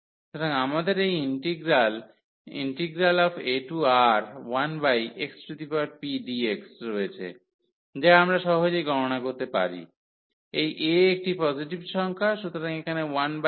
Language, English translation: Bengali, So, we have this integral a to R 1 over x x power p dx which we can easily evaluate, this a is positive number; so, here 1 over x minus b